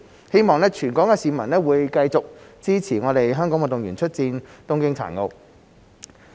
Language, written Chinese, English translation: Cantonese, 希望全港市民會繼續支持香港運動員出戰東京殘奧。, I hope that all Hong Kong people will continue to support our athletes in the Tokyo Paralympic Games